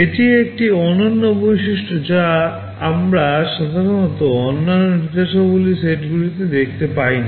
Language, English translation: Bengali, This is a unique feature that we normally do not see in other instruction sets